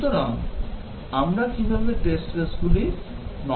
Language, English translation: Bengali, So, how do we design test cases